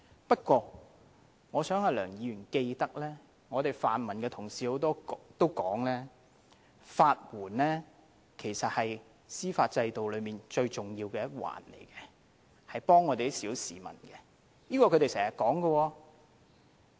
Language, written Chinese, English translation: Cantonese, 不過，我希望梁議員記得，多位泛民同事也表示，其實法援是司法制度中最重要的一環，是幫助小市民的，這也是他們經常說的。, However I hope Mr LEUNG can remember that a number of pan - democratic Members have also pointed out that legal aid is the important part of the judicial system as it offers help to ordinary members of the public . This is what they have been stressing all along